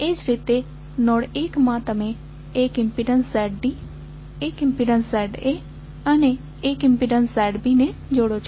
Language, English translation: Gujarati, Similarly in node 1 you are joining Z D as a impedance and Z A as an impedance and Z B as an impedance